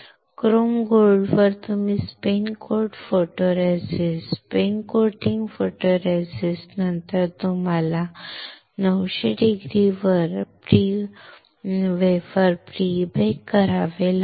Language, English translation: Marathi, On chrome gold you spin coat photoresist, on after spin coating photoresist you have to pre bake the wafer at 900C